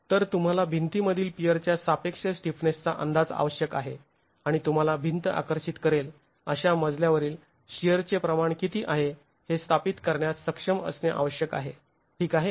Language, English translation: Marathi, So, you need an estimate of the relative stiffness of the peer in a wall and you need the overall stiffness of the wall to be able to establish what is the proportion of the story shear that the wall will attract